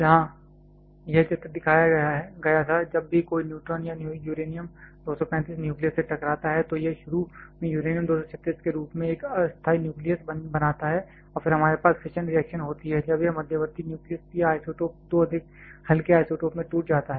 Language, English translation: Hindi, where this picture was shown, whenever a neutron or strikes a uranium 235 nucleus it initially forms a temporary nucleus in the form of uranium 236 and then we have the fission reaction when this intermediate nucleus or isotope breaks into two much lighter isotopes